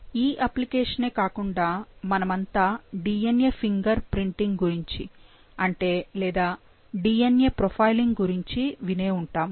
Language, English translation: Telugu, Apart from this application, we all have heard about DNA fingerprinting or also called as DNA profiling